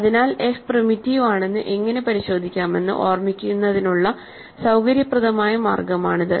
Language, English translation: Malayalam, So, this is the convenient way of remembering how to check that f is primitive